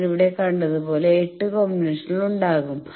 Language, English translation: Malayalam, So, there will be eight such combinations as I have seen here